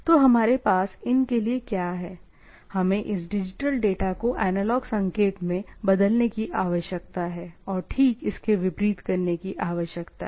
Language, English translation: Hindi, Or so, what we have for these, we require a need to convert this digital data to analog signal and vice versa, right